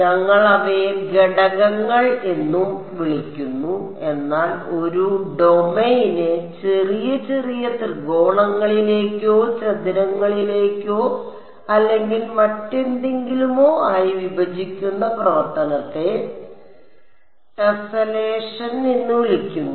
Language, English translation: Malayalam, We call them elements also, but the act of breaking up a domain in to little little triangles or squares or whatever is called tesselation